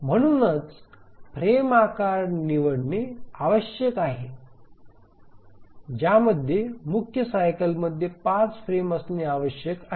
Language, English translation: Marathi, So the frame size must be chosen such that there must be five frames within the major cycle